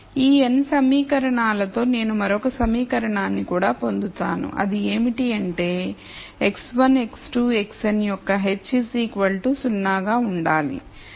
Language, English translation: Telugu, So, with these n equations I will also get another equation which is that h of x 1 x 2 x n has to be equal to 0